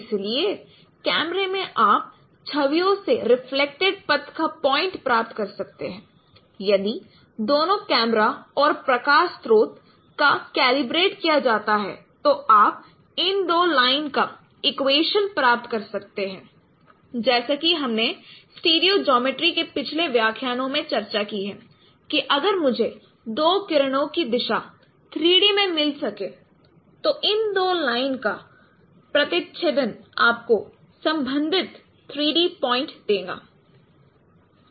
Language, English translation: Hindi, If both camera and light source they are calibrated then you can get the equation of these two lines as we have discussed in the previous lectures of stereo geometry that if I can get the directions of these two rays in three dimension then the intersection of these two lines will give you the corresponding three dimensional point